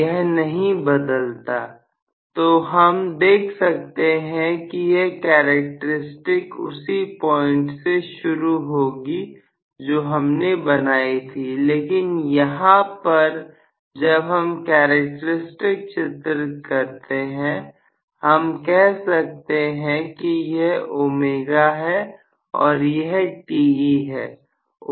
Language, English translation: Hindi, It did not change, so, we could see that it was starting from the same point when we drew the characteristics, but here, when we draw the characteristics, I say this is omega, and this is Te